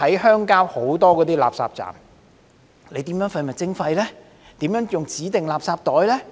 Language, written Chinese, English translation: Cantonese, 鄉郊有很多垃圾站，當局如何執行廢物徵費，如何使用指定垃圾袋呢？, There are many refuse collection points in the countryside how will the authorities enforce waste charging and the use of designated garbage bags?